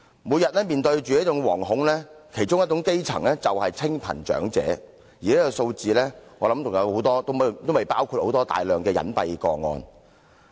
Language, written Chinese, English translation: Cantonese, 每天面對這份惶恐的其中一種基層人士就是清貧長者，而這個數字還未包括大量隱蔽個案。, The impoverished elderly are among the grass roots subject to such apprehension daily and these figures do not cover a large number of hidden cases